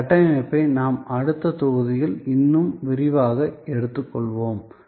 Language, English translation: Tamil, That is the structure that, we will take up in more detail in the next module